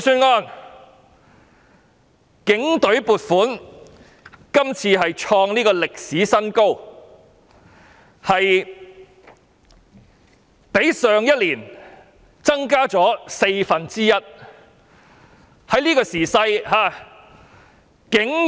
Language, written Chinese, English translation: Cantonese, 今年警隊的撥款創歷史新高，較去年增加四分之一。, The proposed funding for the Police Force hits a record high representing a one - fourth increase compared with last year